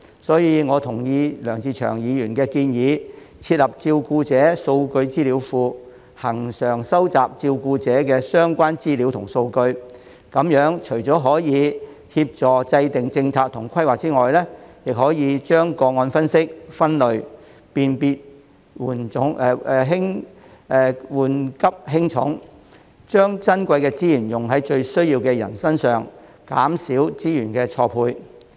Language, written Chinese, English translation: Cantonese, 所以，我同意梁志祥議員的建議，設立照顧者數據資料庫，恆常收集照顧者的相關資料和數據，這樣除了可以協助制訂政策及規劃外，也可將個案分析、分類，辨別緩急輕重，把珍貴的資源用在最需要的人身上，減少資源錯配。, Thus I agree with Mr LEUNG Che - cheungs proposal of setting up a carer database for the regular collection of carer - related information and data . This will not only facilitate in formulating policies and planning but may also help analyse classify and identify priorities of cases so that precious resources can be used on people most in need thereby minimizing resource mismatch